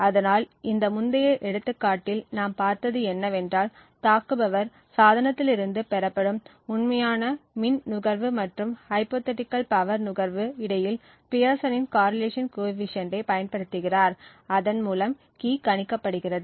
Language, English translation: Tamil, So, what we considered in this example was that the attacker uses the Pearson’s correlation coefficient between a hypothetical power consumed and the actual power consumed in order to identify the correct secret key